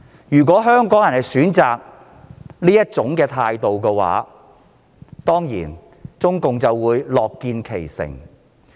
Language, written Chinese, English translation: Cantonese, 如香港人選擇這種態度的話，中共當然樂見其成。, CPC will certainly be happy to see that Hong Kong people have chosen to live with such an attitude